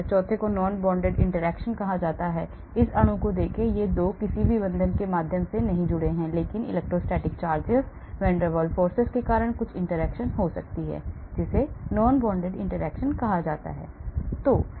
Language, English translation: Hindi, The fourth one is called non bonded interaction, look at this molecule, these 2 are not connected through any bond, but there could be some interaction because of electrostatic charges, van der Waals forces that is called the non bonded interactions